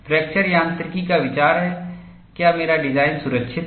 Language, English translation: Hindi, The idea of fracture mechanics is, whether my design is safe